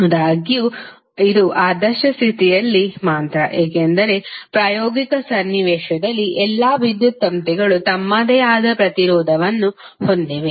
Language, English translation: Kannada, So, that is basically the ideal condition, because in practical scenario all electrical wires have their own resistance